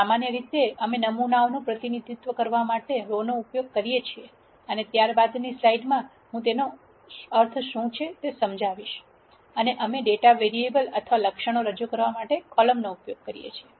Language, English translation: Gujarati, In general, we use the rows to represent samples and I will explain what I mean by this in subsequent slides and we use columns to represent the variables or attributes in the data